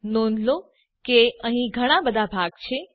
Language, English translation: Gujarati, Notice that there are a lot of partitions